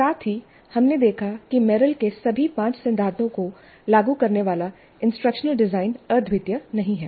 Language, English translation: Hindi, And we saw that the instruction design which implements all the five Merrill's principles is not unique